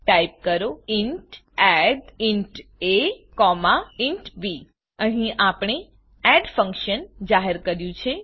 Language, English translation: Gujarati, Type int add(int a, int b) Here we have declared a function add